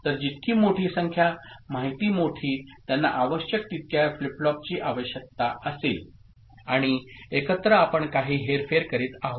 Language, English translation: Marathi, So, the larger the number, larger the information they will need as many number of flip flops and together we are say, doing some manipulation